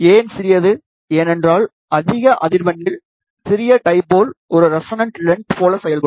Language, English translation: Tamil, Why smaller, because at higher frequency smaller dipole will act like a resonant length